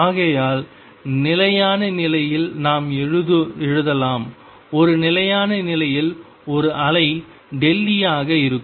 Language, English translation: Tamil, Therefore, in stationary state we can write a wave in a stationary state delta E will come out to be 0